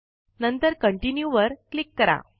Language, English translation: Marathi, Next, click on Continue